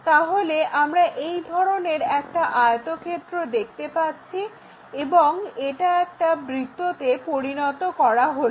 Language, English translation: Bengali, So, what we will see is such kind of rectangle and this one mapped to a circle